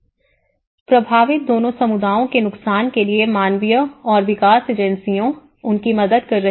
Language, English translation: Hindi, 0 To the disadvantage of both the communities affected and the humanitarian and development agencies helping them